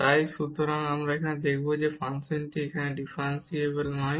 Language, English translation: Bengali, So, we will now move to show that the function is not differentiable at this point